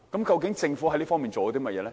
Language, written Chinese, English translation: Cantonese, 究竟政府在這方面做了甚麼？, What has the Government done in view of all this?